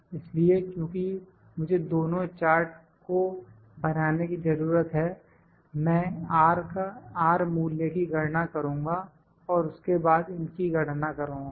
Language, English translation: Hindi, So, because I need to plot both the charts, I will calculate the R value and then calculate these values